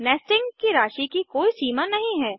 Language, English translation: Hindi, There is no limit to the amount of nesting